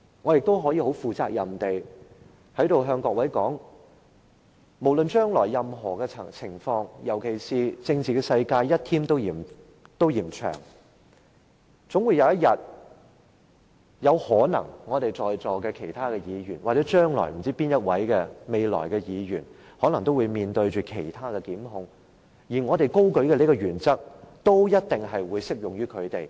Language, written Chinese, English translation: Cantonese, 我可以很負責任地在此對各位說，無論將來情況如何，尤其在政治世界，一天都嫌長的情況下，在席的其他議員或任何一位議員將來有一天可能都會面對其他檢控，我們今天高舉的這項原則都一定會適用於他們。, I can responsibly tell Members that no matter what happens in the future the principle which we uphold today will also apply to them . In the political world one day is too long; Members who are now present in the Chamber or other Members may be prosecuted one day